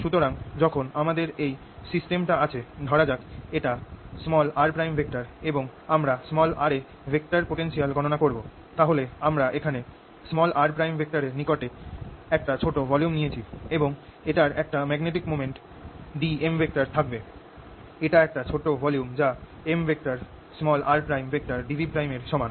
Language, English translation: Bengali, so when i have this system lets make this is at r prime and suppose i am calculating vector potential at r then i'll take a small volume here near r prime and this will have a magnetic moment d m